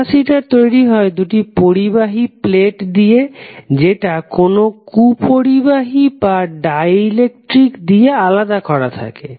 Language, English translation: Bengali, So, capacitor is typically constructed using 2 conducting plates, separated by an insulator or dielectric